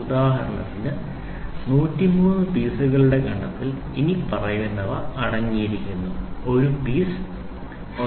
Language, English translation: Malayalam, So, for instance the set of 103 pieces consist of the following: One piece of 1